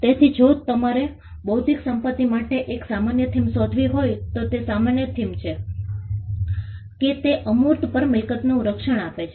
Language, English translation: Gujarati, So, the common theme if you have to find a common theme for intellectual property is the fact that it confers property protection on intangibles